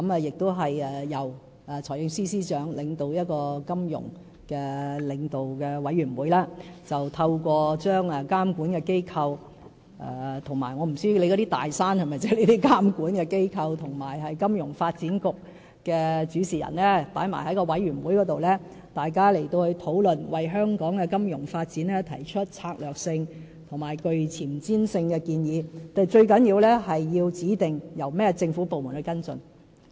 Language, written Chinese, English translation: Cantonese, 由財政司司長主持的"金融領導委員會"，透過把監管機構——我不知道張議員所說的"大山"是否意指監管機構——及金融發展局的主事人一併加入委員會討論，為香港金融發展提出策略性及具前瞻性的建議，但最重要是要指定由有關的政府部門跟進。, The Financial Leaders Forum chaired by the Financial Secretary will include principals of regulators―I do not know if Mr CHEUNG means regulators when he mentions mountains―and the Financial Services Development Council so as to put forward strategic and forward - looking proposals for financial development in Hong Kong . That said the most important thing is that the relevant departments will be designated to follow up on the issues